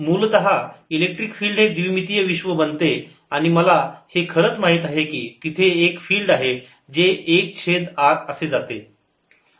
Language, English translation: Marathi, essentially, electric field becomes a two dimensional world and i know, indeed, there the field goes s over r